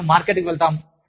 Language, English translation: Telugu, We go to the market